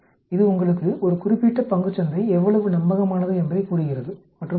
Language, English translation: Tamil, It tells you how reliable a particular share market is and so on actually